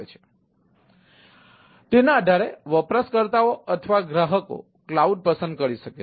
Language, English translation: Gujarati, so, based on that, the a user or customer can select a cloud